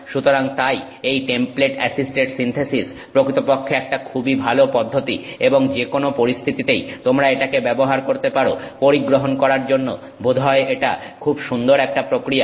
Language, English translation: Bengali, So, therefore this template assisted synthesis actually is a very nice process and in any circumstance that you can use it, this seems like a very nice process to adopt